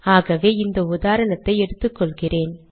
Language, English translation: Tamil, So let me just take this example